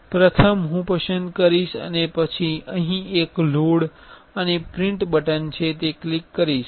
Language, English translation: Gujarati, First, I will select and then here is there is a load and print button I will click that